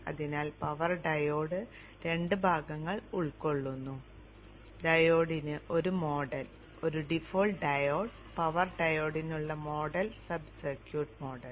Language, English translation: Malayalam, So the power diode is consisting of two parts, a model for the diode default diode and the sub circuit model for the power diode